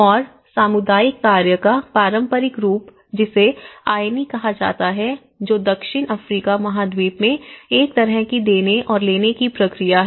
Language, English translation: Hindi, And the traditional form of community work which is called of ‘Ayni’ which is a kind of give and take process in the South American continent